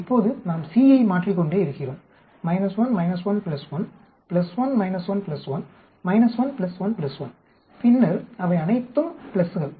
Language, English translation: Tamil, Now we keep changing c minus 1 minus 1 plus 1, plus 1 minus 1 plus 1, minus 1 plus 1 plus 1 then all of them are pluses